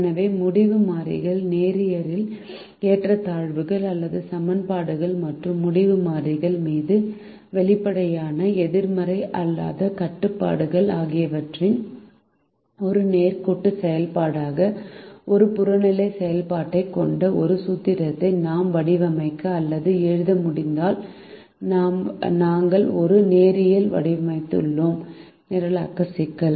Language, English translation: Tamil, so if we are able to model a write formulation which has an objective function, which is a linear function of the decision variables, constraints which are linear, inequalities or equation and explicit non negativity restriction on the decision variables, we have formulated in linear programming